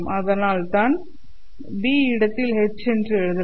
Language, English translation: Tamil, So I can write down in place of B, I can write down H